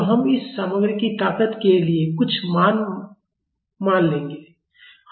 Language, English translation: Hindi, So, we will assume some value for the strength of this material